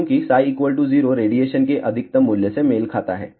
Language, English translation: Hindi, Because, psi equal to 0 corresponds to the maximum value of the radiation